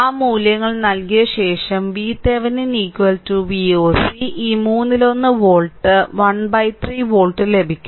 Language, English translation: Malayalam, After putting those values we will get V Thevenin is equal to V oc is equal to this one third volt 1 by 3 volt right